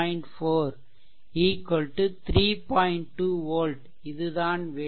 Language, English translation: Tamil, 2 volt that should be the answer right